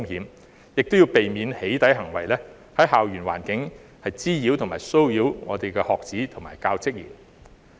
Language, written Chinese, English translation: Cantonese, 當局亦要避免"起底"行為在校園環境滋擾及騷擾學子及教職員。, The authorities also need to prevent doxxing acts from causing nuisance and harassment to students teachers and other staff in the school environment